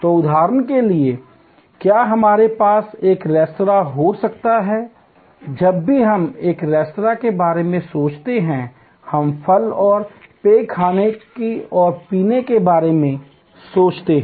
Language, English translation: Hindi, So, for example can we have a restaurant, whenever we think of a restaurant, we think of fruit and beverage, eating and drinking